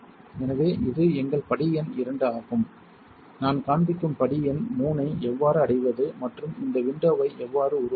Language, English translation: Tamil, So, this is our step number 2 what I am showing is how to reach to step number 3 and how to create this window